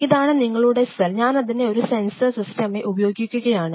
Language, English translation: Malayalam, So, I use the cell this is your cell, I use this as a sensor system